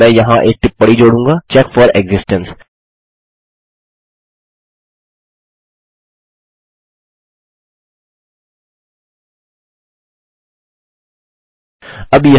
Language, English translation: Hindi, I will add a comment here check for existence